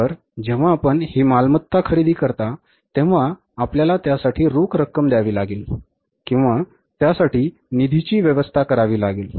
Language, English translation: Marathi, So, when you purchase these assets, you have to arrange the cash for that or you have to arrange the funds for that